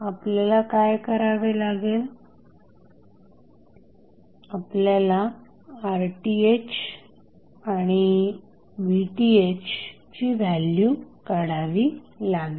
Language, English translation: Marathi, So, this would be rest of the circuit, what you have to do you have to find out the value of Rth and Vth